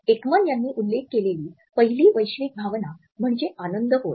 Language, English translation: Marathi, The first universal emotion which has been mentioned by Ekman is happiness